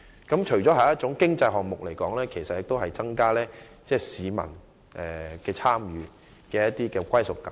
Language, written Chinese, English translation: Cantonese, 這除了是經濟項目之外，亦能鼓勵市民更多參與，提升其歸屬感。, Apart from an economic project it can also encourage members of the public to participate more and raise their sense of belonging